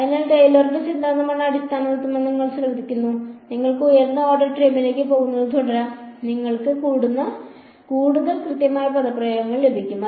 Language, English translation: Malayalam, So, you notice that this is the underlying principle is Taylor’s theorem, you can keep going to higher order term you will get more and more accurate expressions